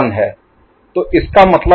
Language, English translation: Hindi, So, that means this is 1 2 3